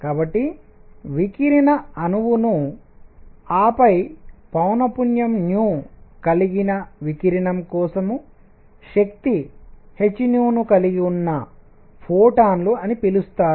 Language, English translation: Telugu, So, radiation molecule and then called photons that have energy h nu for radiation of frequency nu